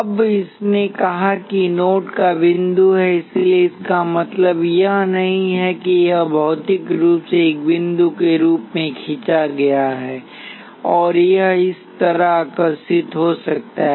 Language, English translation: Hindi, Now, it said the node is point of interconnection, so what it means is not necessarily that it is physically drawn as a point, and it could draw like this